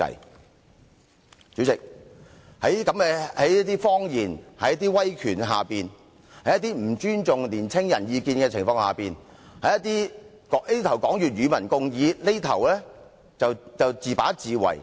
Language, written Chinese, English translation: Cantonese, 代理主席，我們面對着這些謊言、威權、不尊重年青人意見的情況，這邊廂說要與民共議，另一邊廂卻自把自為。, Deputy President what we see now are all these lies all this authoritarianism and all this disrespect for young people . On the one hand the Government talks about public engagement but on the other it proceeds with things without listening to others